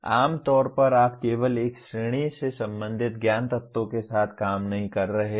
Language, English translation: Hindi, Generally you are not dealing with knowledge elements belonging to only one category